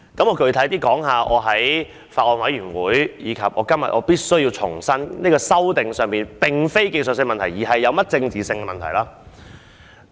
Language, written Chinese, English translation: Cantonese, 我具體談談為何我在法案委員會，以及在今天重申《條例草案》的修訂並非技術性問題，而是政治問題。, Let me discuss specifically why I said in the Bill Committee and reiterated today that the amendments of the Bill were not related to technical issues but political issues